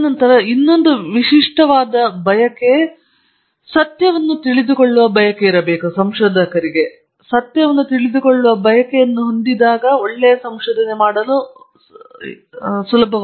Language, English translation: Kannada, And then a desire to another characteristic is desire to know the truth; you must have a desire to know the truth